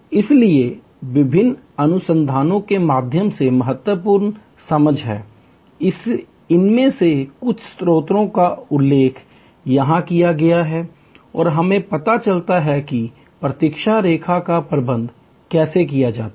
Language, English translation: Hindi, So, these are important understanding through various research, some of these sources are mentioned here and we get to know how to manage the waiting line